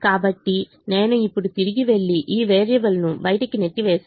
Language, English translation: Telugu, so i go back now and push this variable out